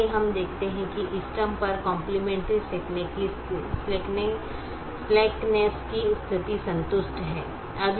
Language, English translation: Hindi, so we see that at the optimum the complementary slackness conditions are satisfied